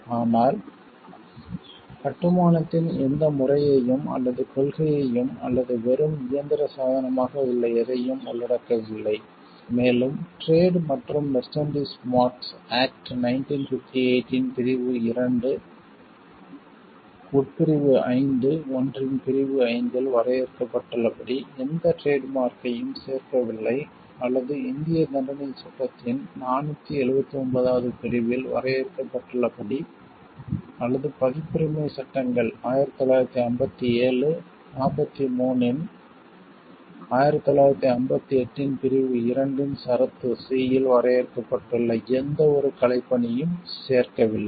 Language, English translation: Tamil, But does not include any mode or principle of construction or anything which is in substance a mere mechanical device and does not include any trademark as defined in the clause 5 of subsection one of section 2 of the Trade and Merchandise Marks Act 1958 or property mark as defined in section 479 of the Indian Penal Code or any artistic work as defined in clause c of section 2 of the Copyright Acts 1957 43 of 1958